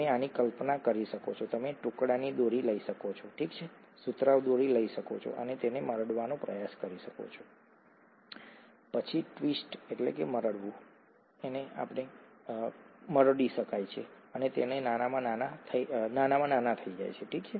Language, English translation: Gujarati, You can imagine this, you can take a piece string, okay, cotton string and try twisting it, then twists and twists and twists and twists and it becomes smaller and smaller and smaller, okay